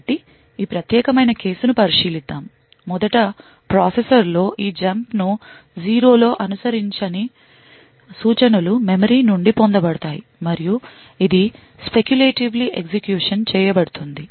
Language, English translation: Telugu, So, let us consider this particular case, so first of all within the processor the instructions that is following these jump on no 0 would get fetched from the memory and it will be speculatively executed